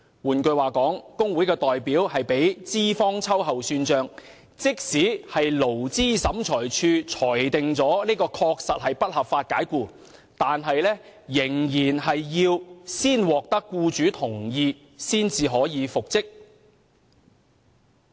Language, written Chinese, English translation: Cantonese, 換言之，若工會代表被資方秋後算帳，即使勞資審裁處裁定為不合法解僱，員工仍要先獲得僱主同意才可復職。, In other words where a trade union representative has been subjected to reprisal by his employer even if the Labour Tribunal rules that it is a case of unlawful dismissal the employee may not be reinstated unless with the employers prior consent